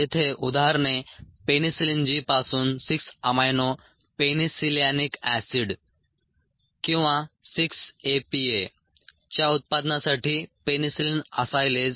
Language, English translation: Marathi, examples here: penicillin acylase for six amino penicillanic acid or six a p a production from penicillin g